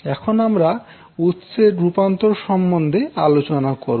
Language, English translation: Bengali, Now let us talk about the source transformation